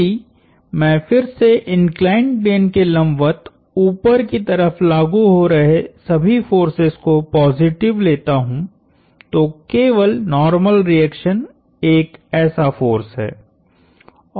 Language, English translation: Hindi, Then, if I take all upward forces perpendicular to the inclined plane positive, the only such force is the normal reaction